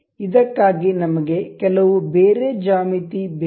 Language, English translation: Kannada, For this we need some other geometry